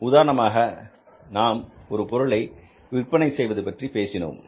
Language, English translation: Tamil, For example, we talk about that, say, earlier we were selling a product